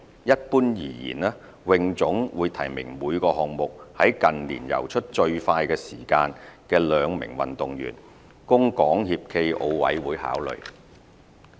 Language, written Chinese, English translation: Cantonese, 一般而言，泳總會提名每個項目在近年游出最快時間的兩名運動員，供港協暨奧委會考慮。, In general HKASA would nominate the two fastest swimming athletes based on their results in recent years for SFOCs consideration